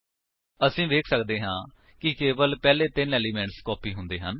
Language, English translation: Punjabi, As we can see, only the first three elements have been copied